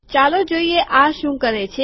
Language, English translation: Gujarati, Lets see what this does